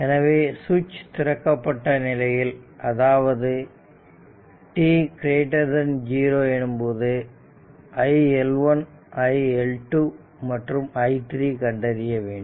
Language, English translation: Tamil, So, the switch is opened at t greater than 0 and determine iL1 iL2 and iL3 for t greater than 0